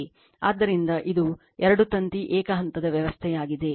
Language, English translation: Kannada, So, this is two wire single phase system